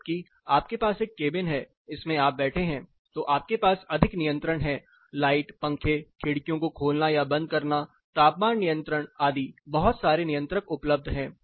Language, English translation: Hindi, Whereas, you have a single cabin you are sitting in this cabin then you have more flexibility, over the light fan opening or closing the windows set temperature lot of controls are available